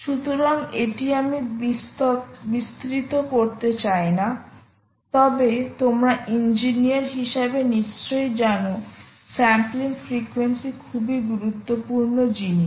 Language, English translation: Bengali, so this is something i don't want to elaborate, but i am sure, as engineers, you actually know that sampling frequency is a very, very ah critical thing